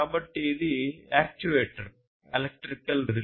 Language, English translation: Telugu, So, this is an actuator; this is an electric relay